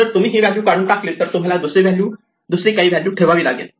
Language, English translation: Marathi, If you remove this value then we have to put some value there